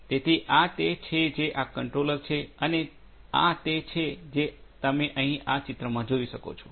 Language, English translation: Gujarati, So, this is what this controller does and this is what you see over here in this picture as well